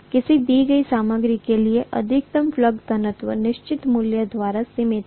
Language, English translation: Hindi, The maximum flux density for a given material is limited by certain value